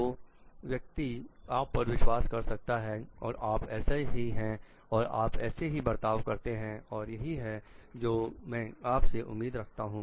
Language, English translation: Hindi, So, that people can trust you and know like this is how you are and this is how you behave and this is what they can expect from you